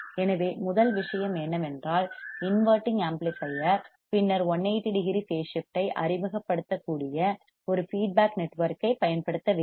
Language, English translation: Tamil, So, first thing we understood that inverting amplifier then what we are to use a feedback network which can introduce 180 degree phase shift